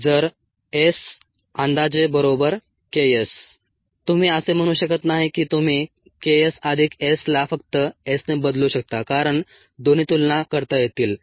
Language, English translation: Marathi, you cannot say that you can replace k s plus s with s alone, because both are comparable